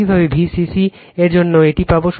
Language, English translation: Bengali, Similarly for bcc we will get it